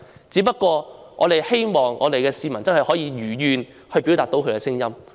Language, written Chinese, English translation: Cantonese, 只不過我們希望市民真的可以如願表達他們的聲音。, All we hope is that members of the public can really express their views as they wish